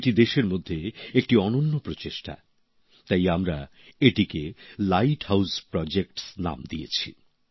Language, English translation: Bengali, This is a unique attempt of its kind in the country; hence we gave it the name Light House Projects